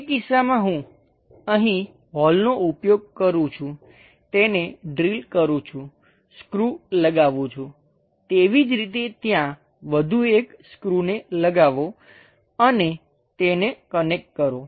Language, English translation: Gujarati, In that case, I use holes here, drill it, make screws; similarly, connect one more screw there and connect it